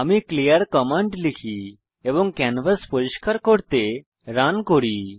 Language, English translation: Bengali, Let me typeclearcommand and run to clean the canvas